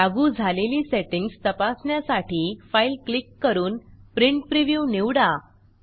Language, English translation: Marathi, To check how the settings have been applied, click File and select Print Preview